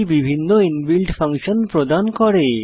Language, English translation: Bengali, Perl provides several inbuilt functions